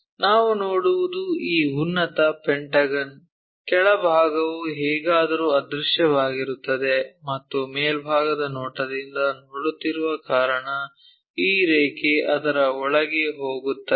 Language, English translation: Kannada, What we will see is the top pentagon; bottom one is anyway invisible and the line because we are looking from top view this line goes inside of that